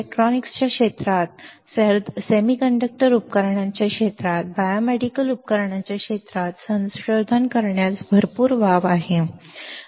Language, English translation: Marathi, There is a lot of scope of performing research in the in the area of electronics in the area of semiconductor devices, in the area of biomedical devices